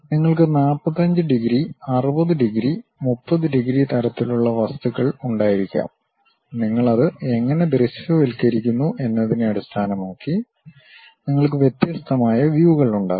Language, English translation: Malayalam, You can have 45 degrees, 45 degrees, 60 degrees, 30 degrees kind of thing; based on how we are visualizing that, you will have different kind of views